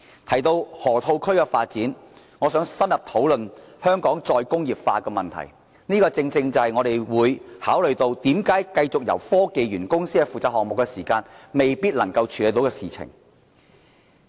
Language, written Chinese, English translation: Cantonese, 提到河套區發展，我想深入討論香港再工業化的問題，而這正正是我們認為繼續由科技園公司負責項目未必能勝任的原因。, Speaking of the Development of Lok Ma Chau Loop I would like to thoroughly discuss re - industrialization in Hong Kong and this is exactly why we believe that HKSTPC may not be capable to handle the project